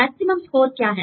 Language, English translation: Hindi, What are the maximum score